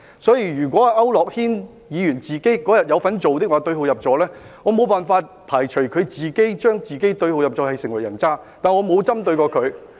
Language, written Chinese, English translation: Cantonese, 所以，如果區諾軒議員那天也有這樣做，並對號入座，我無法排除他自行對號入座，成為人渣，但是我沒有針對他。, Therefore if Mr AU Nok - hin did the same on that day and now identifies himself with that description I cannot rule out that he becomes scum as he has self - proclaimed but I have not targeted him